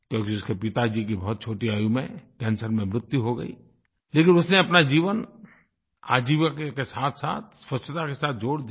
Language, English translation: Hindi, His father had died of cancer at a very young age but he connected his livelihood with cleanliness